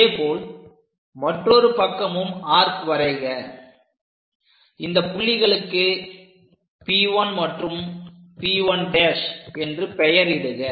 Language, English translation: Tamil, Similarly, on the other side make a cut, so name these points as P 1 and P 1 prime